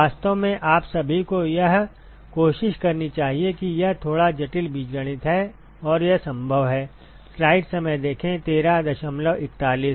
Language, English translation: Hindi, In fact, you should all try this it is it is a little bit complicated algebra and it is doable